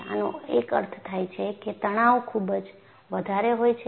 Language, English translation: Gujarati, One meaning is the stresses go very high